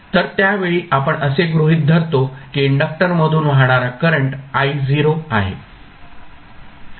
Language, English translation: Marathi, So, at that particular time we assume that the current flowing through inductor is I naught